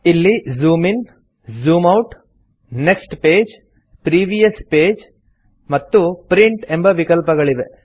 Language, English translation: Kannada, There are options to Zoom In, Zoom Out, Next page, Previous page and Print